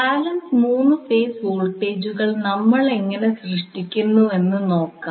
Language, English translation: Malayalam, So, let us see how we generate balance 3 phase voltages